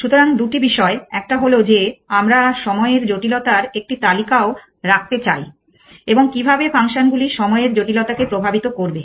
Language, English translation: Bengali, So, two things one is that we want to also keep a list on time complexity is time complexity going to all these going to affect may time complexity all in what manner